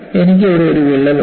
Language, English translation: Malayalam, There is another crack here